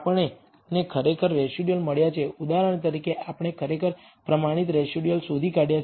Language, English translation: Gujarati, We have actually found the residual for example, we have actually found the standardized residuals